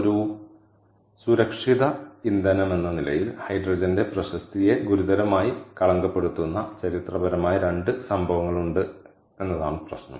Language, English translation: Malayalam, the problem is there are historically two incidents that are severely tainted the reputation of hydrogen as a safe fuel